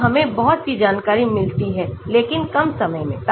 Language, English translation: Hindi, so we get lot of information but with less amount of time